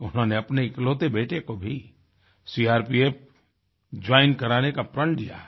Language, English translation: Hindi, She has vowed to send her only son to join the CRPF